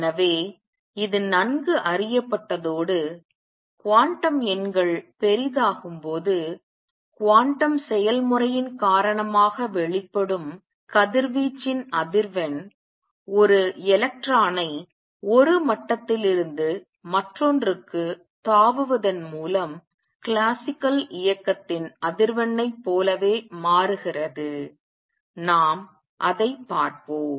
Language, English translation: Tamil, So, this is well known and what the observation was that as quantum numbers become large the frequency of radiation emitted due to quantum process that is by jumping of an electron from one level to the other becomes the same as the frequency in classical motion let us see that